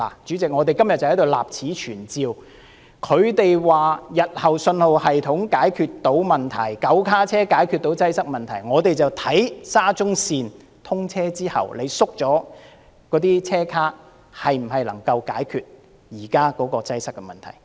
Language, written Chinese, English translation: Cantonese, 主席，我們今天立此存照，他們說日後信號系統可以解決問題 ，9 卡車可以解決擠塞問題，我們便看看沙中線通車後，縮減車卡是否能夠解決現在的擠塞問題。, President today we will put on record their claim that in the future the congestion problem can be solved by the signalling system and the 9 - car trains . Let us wait and see whether reducing the number of cars can solve the present congestion problem after the commissioning of SCL